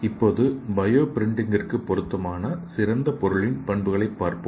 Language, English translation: Tamil, And let us see the ideal material properties for bio printing